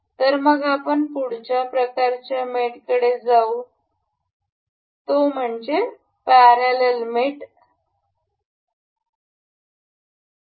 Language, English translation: Marathi, So, let us move onto the next kind of mate that is we will see here in the list that is parallel mate